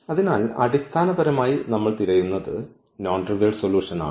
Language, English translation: Malayalam, So, basically what we are looking for, we are looking for the non trivial solution